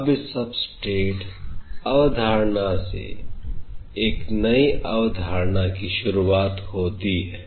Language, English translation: Hindi, But from this substrate concept starts the concept of a newer concept